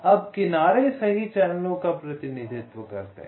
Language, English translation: Hindi, now, edge weight represents the capacity of the channel